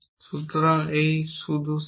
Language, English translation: Bengali, So, this is just a set